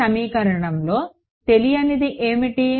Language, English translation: Telugu, What is the unknown in this equation